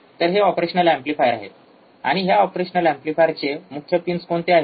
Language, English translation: Marathi, That is, what are the operational amplifiers, and what are the main pins in the operational amplifier